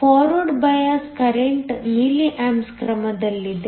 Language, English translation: Kannada, The forward bias current is of the order of milli amps